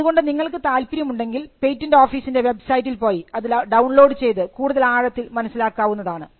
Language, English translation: Malayalam, So, you can go to the patent office website and you could download it if you are interested in reading it